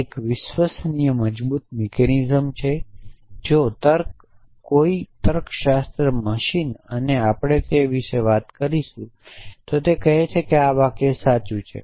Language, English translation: Gujarati, And they take you and it is a reliable robust mechanism if logic if a logic machine and we will talk about that says that this sentence is true